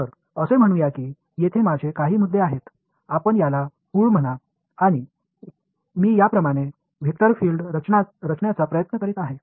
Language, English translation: Marathi, So, let say that I have some point over here, let us call this the origin and I am trying to plot a vector field like this